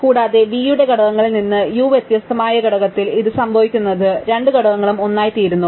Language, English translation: Malayalam, And if the component u different from components of v what happens after this is the two components become the same